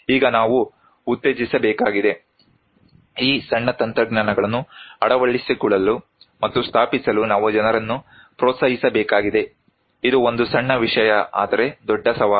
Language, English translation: Kannada, Now, we need to promote, we need to encourage people to adopt and install these small technologies, a small thing but a big challenge